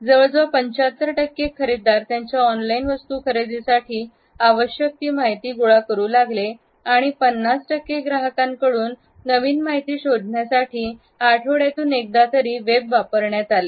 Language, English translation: Marathi, Nearly 75 percent of the buyers gather the maturity of their purchasing information online and four fifths of the customers use the web at least once a week to search for new information